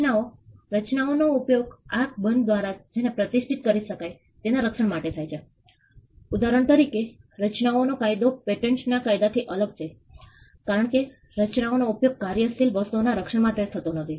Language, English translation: Gujarati, Designs, designs are used to protect what can be distinguished by the eye for instance, the law of designs different from the law of patents, because designs are not used to protect something that is functional